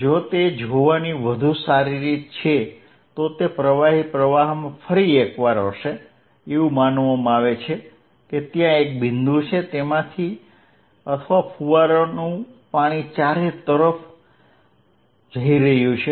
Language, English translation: Gujarati, If better way of looking at it is would be a again in a fluid flow, supposed there is a point from which or a fountain water is going all around